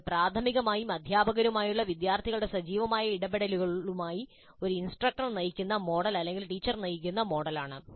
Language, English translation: Malayalam, So it is primarily a instructor driven model or teacher driven model with students active interaction with the teacher